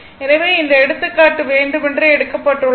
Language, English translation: Tamil, So, this; that means, this example intentionally I have taken